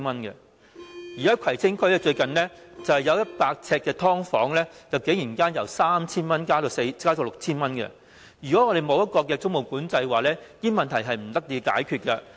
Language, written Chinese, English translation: Cantonese, 最近，在葵青區有100呎"劏房"的租金，竟然由 3,000 元加至 6,000 元，如果沒有租務管制，這些問題根本不能得到解決。, Recently the rent of a subdivided unit of 100 sq ft in the Kwai Tsing has been raised from 3,000 to 6,000 . Without tenancy control these problems will not be resolved